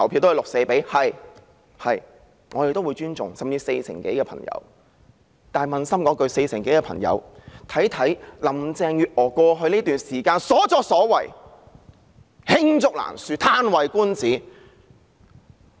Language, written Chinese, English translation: Cantonese, 但是，撫心自問，這四成多選民應該看看林鄭月娥在過去一段時間的所作所為，實在是罄竹難書，"嘆為觀止"。, Nonetheless to pose an honest question these over 40 % of voters should look at what Carrie LAM has done in the past period of time which is simply too numerous to record and too impressive